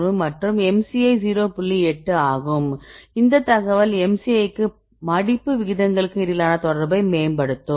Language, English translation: Tamil, 8 because this will this information will enhance the correlation between the MCI and the folding rates